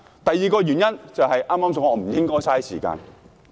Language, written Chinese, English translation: Cantonese, 第二個原因就是我剛才說的不應浪費時間。, The second reason is that no more time should be wasted as I just stated